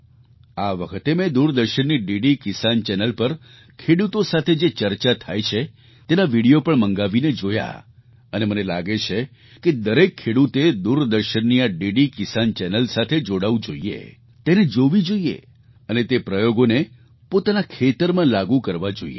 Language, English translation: Gujarati, This time, I requisitioned and viewed videos of discussions with our farmers on DD Kisan Channel of Doordarshan and I feel that each farmer should get connected to this DD Kisan Channel of Doordarshan, view it and adopt those practices in his/ her own farm